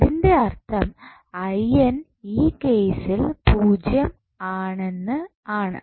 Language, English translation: Malayalam, So, that means I n will be 0 in this case